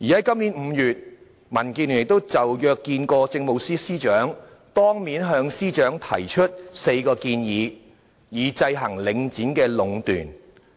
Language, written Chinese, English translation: Cantonese, 今年5月，民建聯約見政務司司長，當面向司長提出4項建議，以制衡領展壟斷。, In May this year DAB arranged for a meeting with the Chief Secretary for Administration and made four proposals face to face for counteracting the monopolization of Link REIT